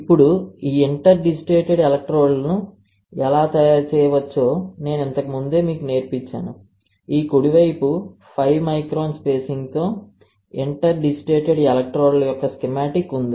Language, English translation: Telugu, Now, how these interdigitated electrodes can be fabricated is very simple I have taught you earlier, and this the right side is a schematic of one such interdigitated electrodes, right with 5 micron spacing